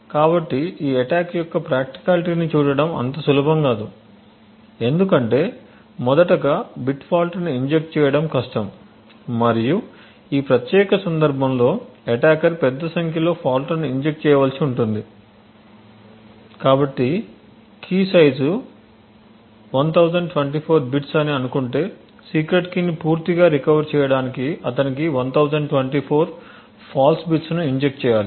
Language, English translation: Telugu, So looking at the practicality of this attack it is not going to be that easy because injecting bit false is first of all difficult and in this particular case the attacker would need to inject a large number of faults so if the key side is say 1024 bit he would need to inject 1024 bit false in order to fully recover the secret key